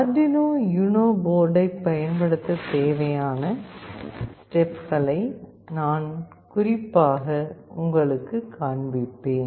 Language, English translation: Tamil, I will be specifically showing you the steps that are required to use Arduino UNO board